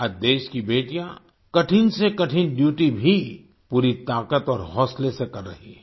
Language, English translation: Hindi, Today the daughters of the country are performing even the toughest duties with full force and zeal